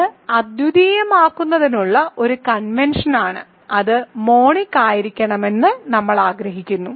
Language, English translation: Malayalam, So, it is a convention to make it unique; we want it to be monic